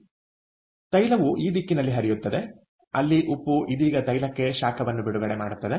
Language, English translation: Kannada, so therefore the oil actually flows in this direction, where the salt right now releases heat to the oil clear